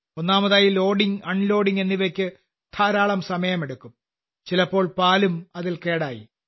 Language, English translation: Malayalam, Firstly, loading and unloading used to take a lot of time and often the milk also used to get spoilt